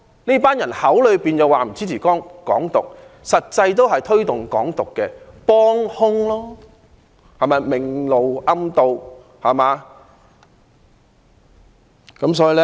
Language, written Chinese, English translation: Cantonese, 這群人口說不支持"港獨"，實際也是推動"港獨"的幫兇，明修棧道，暗渡陳倉。, While these people claim that they do not support Hong Kong independence they are actually accomplices who help promote Hong Kong independence . They have adopted an insidious approach to achieve a disguised ignoble end